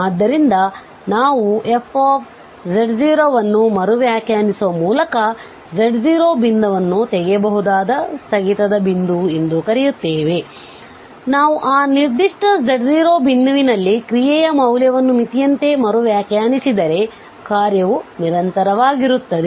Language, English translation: Kannada, So, we call than this such a point z naught removal discontinuity a point of removable discontinuity, since by redefining f z naught so, if we just redefine the value of the function at that particular point z naught to be same as the limit then the function becomes continuous